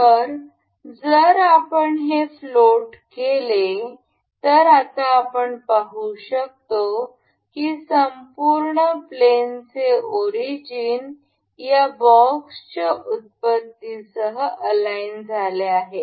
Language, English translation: Marathi, So, if we make this float, now we can see the origin of the whole plane is aligned with this origin of this box